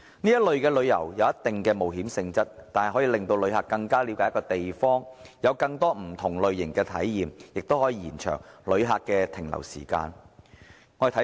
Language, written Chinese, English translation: Cantonese, 這類旅遊有一定探險性質，但可以令旅客更了解一個地方，有更多不同類型的體驗，也可延長旅客的停留時間。, Such activities have an element of adventure and enable visitors to better understand a place have different types of experiences and extend their duration of stay